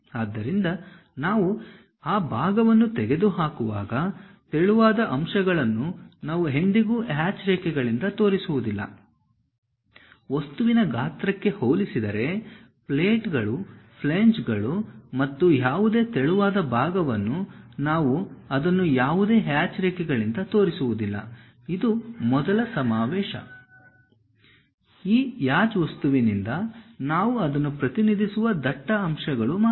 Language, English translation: Kannada, So, when we are removing that part, the thin elements we never show it by hatched lines; compared to the object size, any thin supports like plates, flanges and so on things, we do not show it by any hatched lines, this is a first convention Only thick elements we represent it by this hatch thing